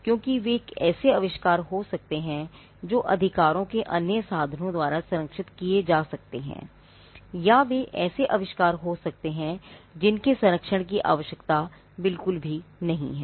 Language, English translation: Hindi, Because they could be inventions which could be protected by other means of rights, or they could be inventions which need not be patented at all